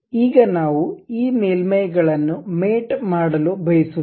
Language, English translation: Kannada, Now, we want to really mate these surfaces